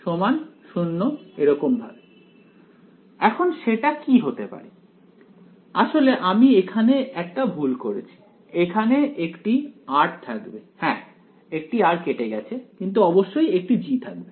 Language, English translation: Bengali, What might that something be, actually I made one mistake here there should be r yeah that one r got cancelled of yeah definitely a G has to be there